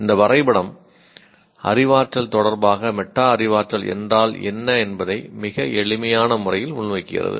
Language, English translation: Tamil, This diagram presents in a very simple way the role of the what is the what is metacognition relation to cognition